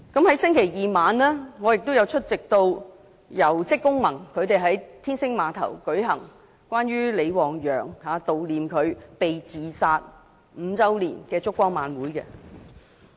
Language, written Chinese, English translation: Cantonese, 在星期二晚上，我也出席了香港職工會聯盟在天星碼頭舉行關於悼念李旺陽被自殺5周年的燭光晚會。, On Tuesday night this week I also attended another candlelight vigil at the Star Ferry organized by the Hong Kong Confederation of Trade Unions to commemorate LI Wangyang who was being suicided five years ago